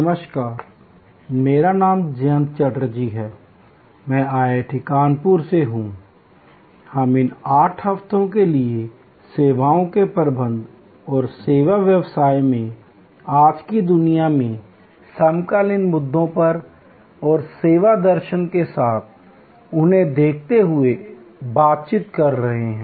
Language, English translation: Hindi, Hello, I am Jayanta Chatterjee from IIT, Kanpur and we are interacting now for these 8 weeks on services management and the contemporary issues in today’s world in the service business and in all businesses, looking at them with the service philosophy